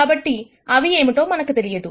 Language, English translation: Telugu, So, we do not know what those are